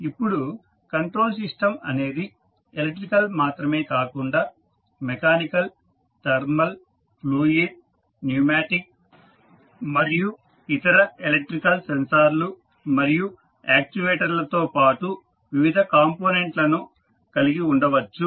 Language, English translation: Telugu, Now, the control system may be composed of various components, not only the electrical but also mechanical, thermal, fluid, pneumatic and other electrical sensors and actuators as well